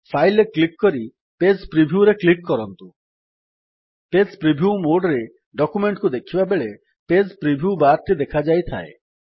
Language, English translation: Odia, Click on File and click on Page Preview The Page Preview bar appears when you view the current document in the page preview mode